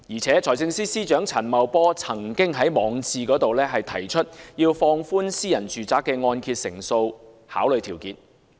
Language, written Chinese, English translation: Cantonese, 財政司司長陳茂波曾經在網誌提出，要放寬私人住宅的按揭成數考慮條件。, Financial Secretary Paul CHAN has once suggested in his blog to relax the ceiling for private residential mortgage loans